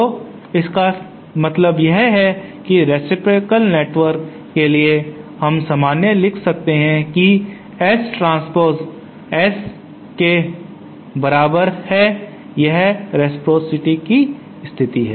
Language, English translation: Hindi, So that means for a reciprocal network we can simply write that S transpose is equal to S so this is the condition for reciprocity